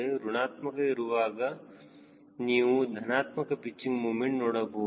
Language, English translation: Kannada, for negative, you will find positive pitching moment